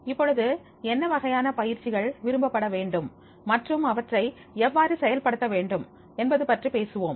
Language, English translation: Tamil, Now, here we will talk about what type of the training programs that should be preferred and how they are to be executed